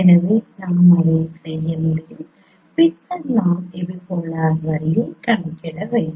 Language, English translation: Tamil, So we can do that and then we need to compute the epipolar line